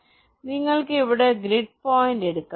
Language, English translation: Malayalam, so you just imagine this grid point